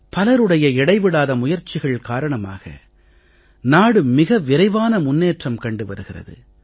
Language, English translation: Tamil, Due to tireless efforts of many people the nation is making rapid progress